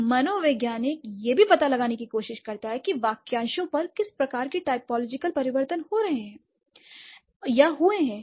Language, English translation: Hindi, So, an anthropologist also tries to find out what kind of typological changes on the words or the phrases have gone through